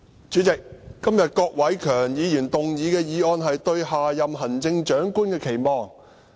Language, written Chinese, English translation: Cantonese, 主席，今天郭偉强議員動議的議案是"對下任行政長官的期望"。, President today Mr KWOK Wai - keung moved a motion on Expectations for the next Chief Executive